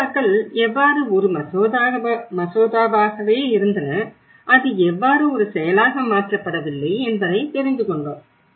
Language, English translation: Tamil, How the bills remained as a bill and how it has not been turned into an act